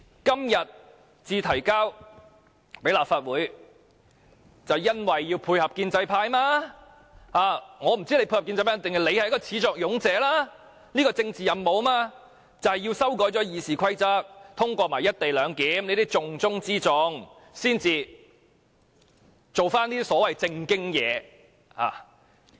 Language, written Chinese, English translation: Cantonese, 今天才提交立法會，原因是要配合建制派，我也不知道政府是要配合建制派，抑或是始作俑者，這項政治任務便是要修改《議事規則》，再通過"一地兩檢"，這些是重中之重，然後才做一些所謂"正經"事情......, It is tabled before the Legislative Council only today because the Government wanted to work in unison with the pro - establishment camp . I am not sure whether the Government wanted to work in unison with the pro - establishment camp or the Government actually started it all in order to accomplish the political mission of amending RoP and then getting the co - location arrangement passed tasks which are of the utmost importance before proceeding to the so - called proper business